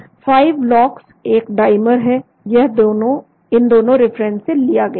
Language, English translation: Hindi, 5 LOX is a dimer , this was taken from these 2 references